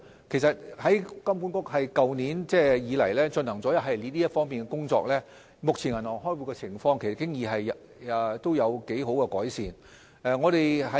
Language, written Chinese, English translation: Cantonese, 金管局自去年開始，已在這方面開展一系列的工作，所以現時銀行在開戶方面已有不錯的改善。, Moreover a series of measures have been implemented since last year and satisfactory improvements have therefore been made by banks in respect of account opening